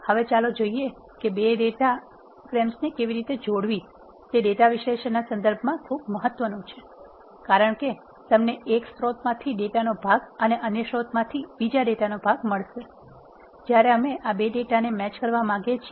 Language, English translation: Gujarati, Now, let us look how to join 2 data frames it is very important in terms of data analysis, because you will get part of the data from one source and the part of the data from other source, when we want to match these 2 data, which are having some common I ds, how do you do this is the question